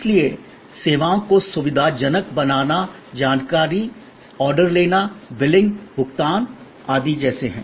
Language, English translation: Hindi, So, facilitating services are like information, order taking, billing, payment, etc